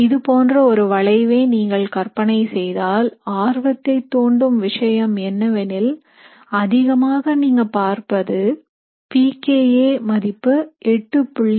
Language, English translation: Tamil, So if you imagine an average curve like this, what is interesting is the maximum that you see in the curve corresponds to the pKa of around 8